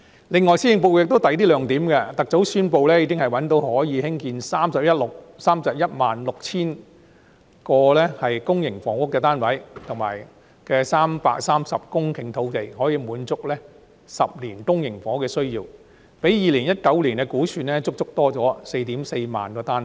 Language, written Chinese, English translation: Cantonese, 此外，施政報告還有其他亮點，特首宣布覓得可以興建 316,000 個公營房屋單位的330公頃土地，可以滿足10年公營房屋的需要，較2019年的估算，足足增加 44,000 個單位。, The Policy Address has other highlights as well . The Chief Executive has announced that 330 hectares of land have been identified for providing 316 000 public housing units to meet the demand in the coming 10 years a significant increase of 44 000 units over the 2019 estimate